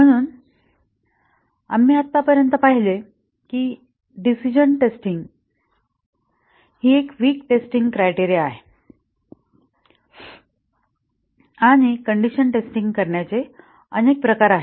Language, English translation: Marathi, So, we had so far seen that decision testing is a weak testing criterion and there are several types of condition testing